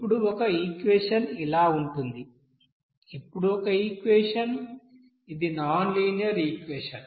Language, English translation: Telugu, Here one equation is like this Here one equation, this is nonlinear equation